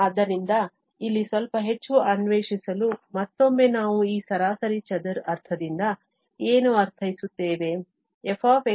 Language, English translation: Kannada, So, just again to explore a bit more here that what do we mean by this mean square sense